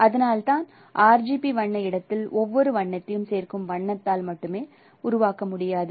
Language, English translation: Tamil, So that is why in the RGB color, every color cannot be produced by only additive color